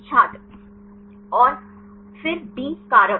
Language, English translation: Hindi, And then B factor